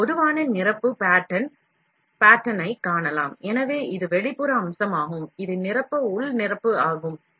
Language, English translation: Tamil, A typical fill pattern can be seen, so this is the; this is the external feature, and this is the fill internal fill